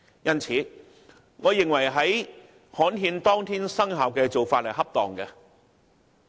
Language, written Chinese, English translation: Cantonese, 因此，我認為安排新法例於刊憲當天生效的做法恰當。, Hence I opine that the arrangement made for the new law to come into operation on the day it is gazetted is appropriate